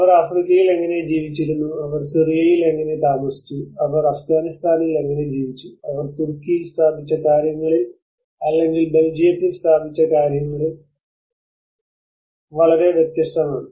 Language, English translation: Malayalam, How they were living in Africa and how they were living in Syria how they were living in Afghanistan is very much different in what they have set up in Turkey or what they have set up in Belgium